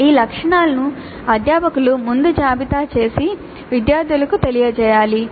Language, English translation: Telugu, So these attributes have to be listed by the faculty upfront and communicated to the students